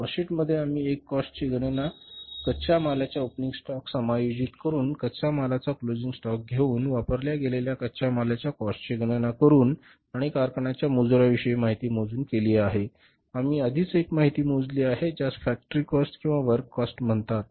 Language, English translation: Marathi, In the cost sheet we have calculated one cost by adjusting the opening stock of raw material, closing stock of raw material, calculating the cost of raw material consumed plus information about the factory wages